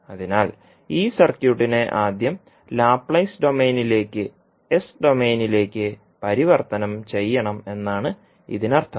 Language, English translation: Malayalam, So means that we have to convert first this circuit into Laplace domain that is S domain